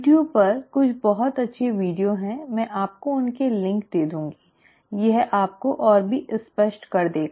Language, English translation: Hindi, There are some very nice videos on you tube, I will give you links to those, it will make it even clearer to you